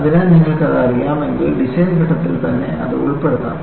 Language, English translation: Malayalam, So, if you know that, you could incorporate that in the design phase itself